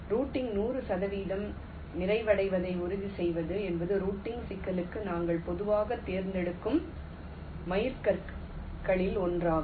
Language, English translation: Tamil, i mean ensuring hundred percent completion of routing is one of the milestones that we usually select for the problem of routing